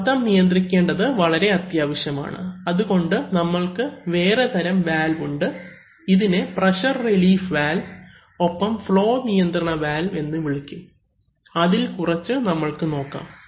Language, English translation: Malayalam, If you want to, and pressure control is very much needed, so we have the other kinds of valves which are called pressure relief valves and flow control valves, so we will look at some of them